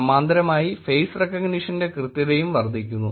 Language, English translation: Malayalam, In parallel there is also increase in face recognition accuracy